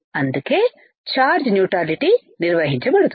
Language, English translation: Telugu, That is why the charge neutrality would be maintained